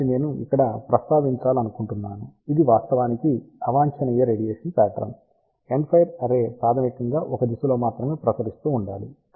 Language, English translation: Telugu, So, just I want to mention here this is actually a undesired radiation pattern end fire array should basically be radiating only in 1 direction